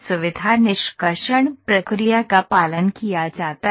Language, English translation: Hindi, Feature extraction procedure is followed